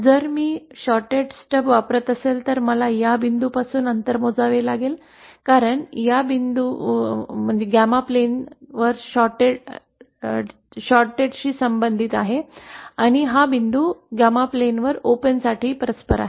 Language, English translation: Marathi, If I am using a shorted stub then I would have to calculate the distance from this point because this point corresponds to short on the gamma plane and this point corresponds to open on the gamma plane